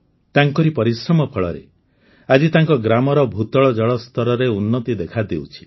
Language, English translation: Odia, Today, the result of his hard work is that the ground water level in his village is improving